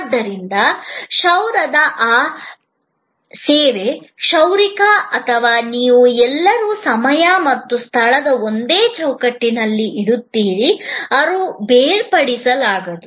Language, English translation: Kannada, So, that service of haircut, the barber and you, all present in the same frame of time and space, this is the inseparability